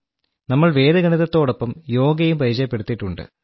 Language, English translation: Malayalam, As such, we have also introduced Yoga with Vedic Mathematics